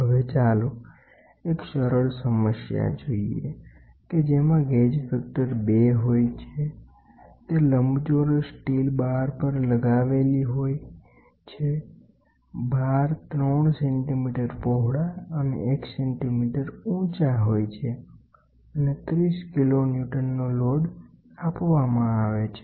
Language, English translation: Gujarati, Now, let us see a simple problem a having a gauge factor of 2 is mounted on a rectangular steel bar the bar is 3 centimeter wide and 1 centimeter high and is subjected to a tensile force of 30 kiloNewton